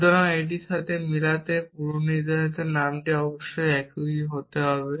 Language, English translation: Bengali, So, to match this with this of course, the predicate name must be the same